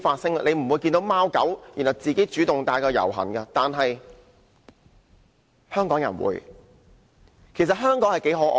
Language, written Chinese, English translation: Cantonese, 大家不會看到貓狗自己走上街遊行，但香港人會帶貓狗這樣做。, We will not see cats and dogs taking to the streets to protest yet the people of Hong Kong will bring their cats and dogs to do so